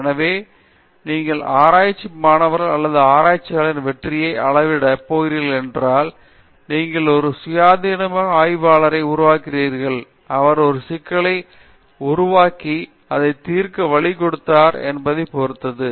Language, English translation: Tamil, So, if you are going to measure the success of a research student or a research scholar, you should check when he or she graduates whether you have made some independent researcher, whether he or she is able to create a problem and also develop a methodology or a way to solve the problem